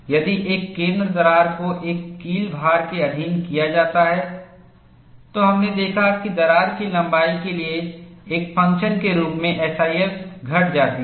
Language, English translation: Hindi, If a center crack is subjected to a wedge load, we saw that SIF decreases as a function of crack length